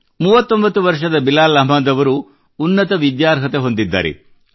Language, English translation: Kannada, 39 years old Bilal Ahmed ji is highly qualified, he has obtained many degrees